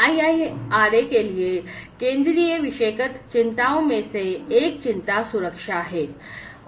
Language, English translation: Hindi, So, for the IIRA one of the central thematic concerns is the safety